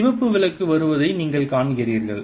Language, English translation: Tamil, you see the red light coming